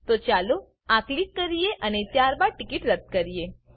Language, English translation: Gujarati, So lets click this and then cancel the ticket